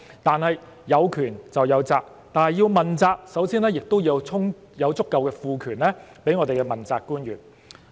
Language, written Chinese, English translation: Cantonese, 但是，有權就有責，要問責，首先要賦予足夠的權力給我們的問責官員。, Power comes with responsibility and accountability . Principal officials should first be vested with sufficient power